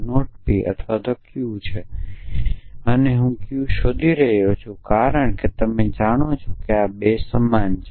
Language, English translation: Gujarati, I have P and not P or Q and I deriving Q because you know these 2 are equivalent essentially